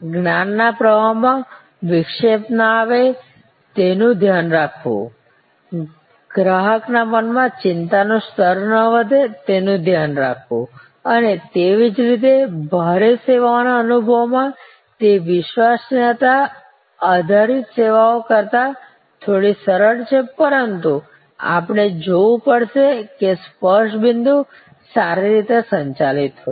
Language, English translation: Gujarati, See that the knowledge flow is not interrupted, see that the anxiety level does not raise in the mind of the consumer and similarly, in the experience heavy services it is a bit easier than the credence based services, but we have to see that the touch points are well managed